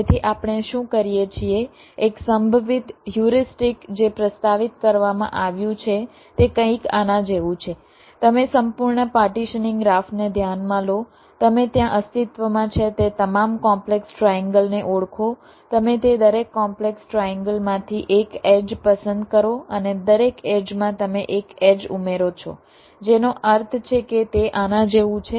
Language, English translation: Gujarati, so what we do one possible heuristic that has been proposed is something like this: you consider the complete partitioning graph, you identify all complex triangles that exists there, you select one edge from each of those complex triangles and in each of edges you add one edge, which means it is something like this: let say, your complex triangle look like this